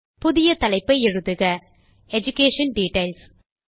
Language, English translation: Tamil, Lets type a new heading as EDUCATION DETAILS